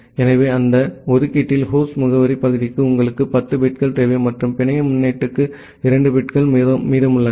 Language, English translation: Tamil, So, in that allocation, you require 10 bits for the host address part, and 2 bits are remaining for the network prefix